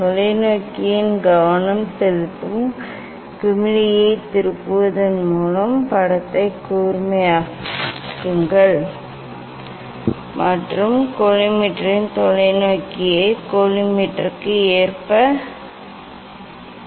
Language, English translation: Tamil, Make the image sharp by turning the focusing knob of the telescope and of the collimator place the telescope in line with the collimator make the image sharp by turning the